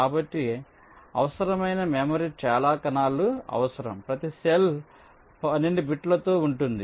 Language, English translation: Telugu, so the memory required will be so many cells, each cell with twelve bits